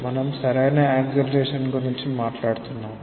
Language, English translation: Telugu, We are talking about the proper acceleration